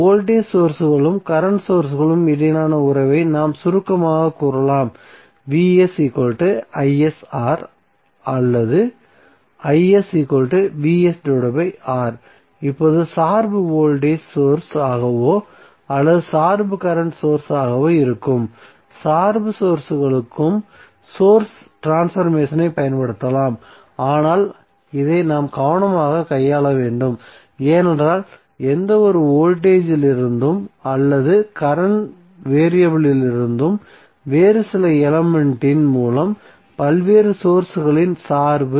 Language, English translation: Tamil, Now, source transformation can also be applied to dependent sources that maybe the dependent voltage source or dependent current source but, this we have to handle carefully because the dependency of various sources from the any voltage or current variable through some other element